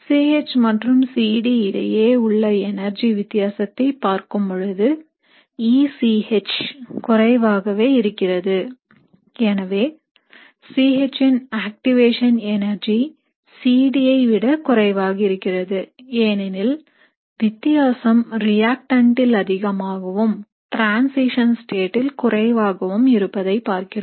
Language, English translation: Tamil, So what that means is if I were to look at the energy difference between C H and C D, EC H would be still less than, so the activation energy for C H will be still less than C D, because in this case what we have seen is, the difference is more in the reactant and less in the transition state